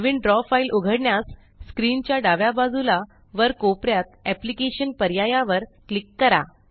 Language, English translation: Marathi, To open a new Draw file, click on the Applications option at the top left corner of the screen